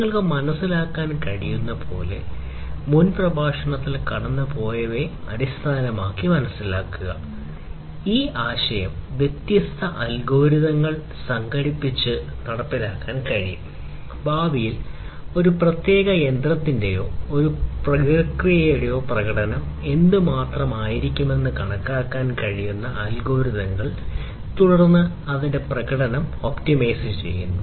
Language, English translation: Malayalam, So, as you can understand, as you can realize based on whatever we have gone through in the previous lectures, this concept can be achieved it can be implemented with the help of incorporation of different algorithms; algorithms that can estimate how much the performance is going to be of a particular machine or a process in the future and then optimizing its performance